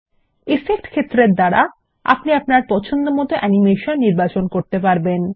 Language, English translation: Bengali, The Effect field allows you to set animations options